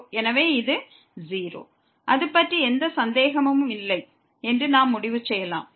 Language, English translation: Tamil, So, we can conclude that this is 0, no doubt about it